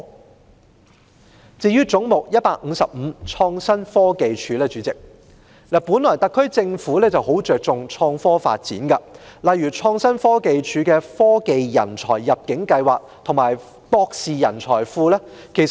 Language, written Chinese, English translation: Cantonese, 代理主席，至於"總目 155― 創新科技署"，特區政府很重視創科發展，相繼推出如創新科技署轄下的科技人才入境計劃和博士專才庫等計劃。, Deputy Chairman as regards Head 155―Innovation and Technology Commission attaching great importance to the development of innovation and technology IT the SAR Government has launched such schemes as the Technology Talent Admission Scheme and the Postdoctoral Hub Programme under the Innovation and Technology Commission one after another